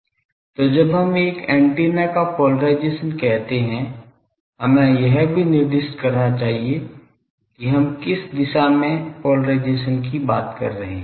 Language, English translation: Hindi, So, when we say polarisation of an antenna; we should also specify in which direction polarisation we are talking just the concept of directivity, gain etc